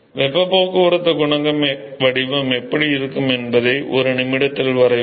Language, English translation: Tamil, I will I will draw in a minute how the heat transport coefficient profile will look like